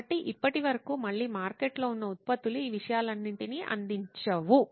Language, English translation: Telugu, So till now the products that are again that are existing in the market they do not serve all these things